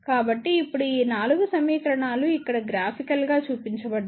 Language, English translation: Telugu, So, now, these 4 equations are represented in this graphical form over here